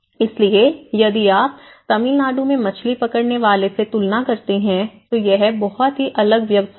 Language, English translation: Hindi, So, it was not if you compare in the fishing sector in Tamil Nadu it was very quiet different set up